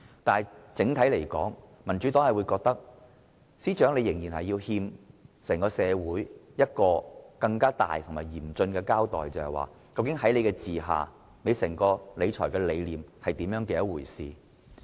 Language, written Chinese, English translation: Cantonese, 但是，整體而言，民主黨覺得司長仍然欠社會一個嚴肅的交代，便是他的整套理財理念是怎麼一回事。, But on the whole the Democratic Party thinks that the Financial Secretary owes the public a solemn explanation on his overall fiscal philosophy